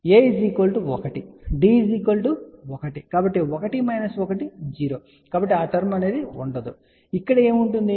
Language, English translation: Telugu, So, A is 1, D is 1, so 1 minus 1, 0 so that term will not be there